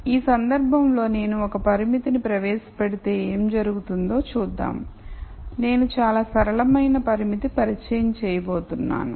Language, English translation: Telugu, Now let us see what happens if I introduce a constraint in this case I am going to introduce a very simple linear constraint